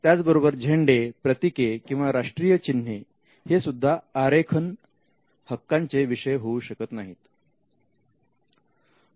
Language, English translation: Marathi, Flags, emblems and national symbols cannot be a subject matter of design right